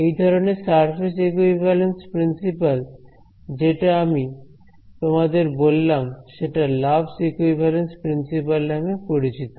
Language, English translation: Bengali, By the way this particular surface equivalence principle that I told you goes by the name of Love’s equivalence theorem